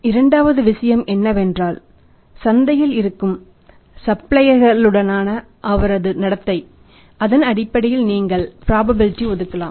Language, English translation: Tamil, Second thing is his behaviour with the existing suppliers in the market you can on the basis of that assign the probability